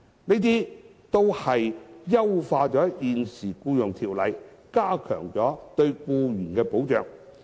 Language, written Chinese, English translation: Cantonese, 這些安排均優化了現行的《僱傭條例》，加強了對僱員的保障。, These arrangements have enhanced the existing Employment Ordinance by strengthening the protection for employees